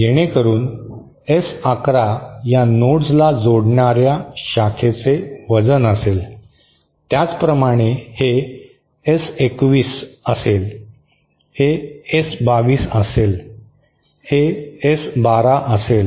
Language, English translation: Marathi, So that S11 will be the weight of this branch joining the 2 nodes, similarly this will be S21, this will be S22, this will be S12, fine